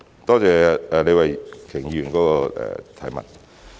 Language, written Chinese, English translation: Cantonese, 多謝李慧琼議員的補充質詢。, I thank Ms Starry LEE for her supplementary question